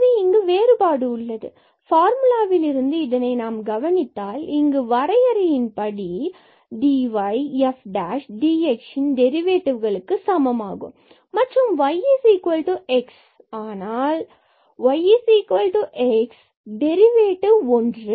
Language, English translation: Tamil, So, there is a difference or from the formula itself we can observe because we have this definition dy is equal to the derivative of this f prime x and dx and if we substitute for y is equal to x suppose y is equal to x